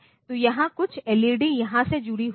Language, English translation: Hindi, So, here some LED is connected here